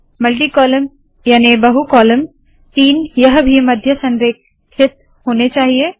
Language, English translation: Hindi, Multi column, three, also to be center aligned